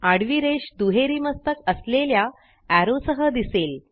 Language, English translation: Marathi, A horizontal line appears along with the double headed arrow